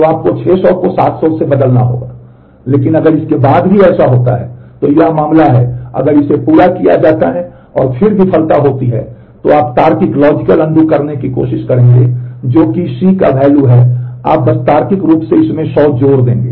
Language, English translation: Hindi, So, you will have to replace 600 by 700, but if it happens after this, then this is the case if it is completed the operation and then the failure happens, then you will do the logical undo that is whatever the value of C is you will just logically add 100 to that